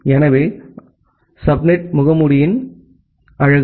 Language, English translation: Tamil, So that is the beauty of the subnet mask